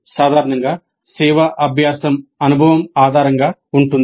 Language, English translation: Telugu, Basically service learning can be experience based